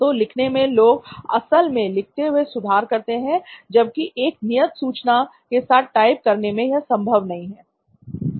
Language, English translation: Hindi, So in terms of writing people actually improvise more while writing than on typing or using a fixed information